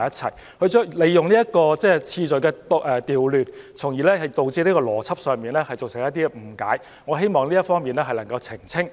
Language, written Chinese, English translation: Cantonese, 他利用次序的調換，從而在邏輯上造成一些誤解，所以我希望能就這方面作出澄清。, He created logical misunderstandings by reversing the order of words so I wish to clarify this part